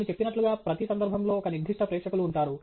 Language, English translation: Telugu, And as I mentioned, there is a specific audience in each occasion